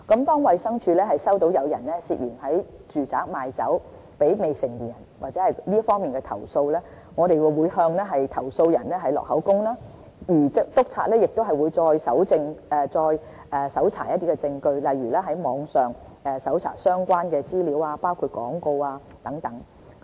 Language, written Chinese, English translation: Cantonese, 當衞生署接獲有人涉嫌在住宅賣酒給未成年人或這方面的的投訴，我們會向投訴人錄取口供，而督察亦會再搜查證據，例如在網上搜尋相關的資料，包括廣告等。, In case of complaints received by DH about alleged sale of liquor to minors in domestic premises or other similar complaints we will take a statement from the complainant and inspectors will collect further evidence such as searching for related information online including advertisements